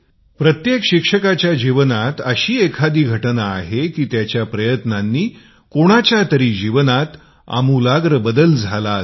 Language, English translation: Marathi, In the life of every teacher, there are incidents of simple efforts that succeeded in bringing about a transformation in somebody's life